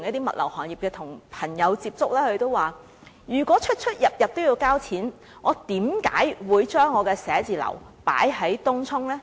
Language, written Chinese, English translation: Cantonese, 物流行業的朋友表示，如果每次出入也要付款，他們為何還會選擇把寫字樓設於東涌？, Members of the logistics industry may query why they have to set up an office in Tung Chung if they have to pay every time they use the Lantau Link